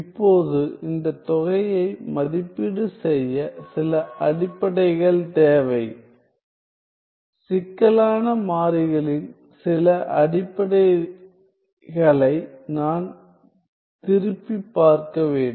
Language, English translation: Tamil, Now to evaluate this integral we need some basics I need to revise some basics of complex variables